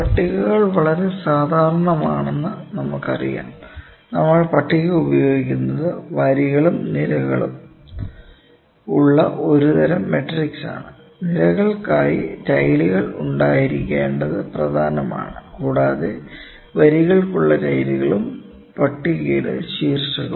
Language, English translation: Malayalam, Tables as we know those are very common, we have been using those table is a kind of a matrix in which you have rows and columns, it is important to have the tiles for the columns, and the tiles for the rows as well and overall title of the table